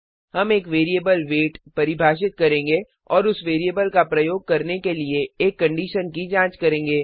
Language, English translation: Hindi, We shall define a variable weight and check for a condition using that variable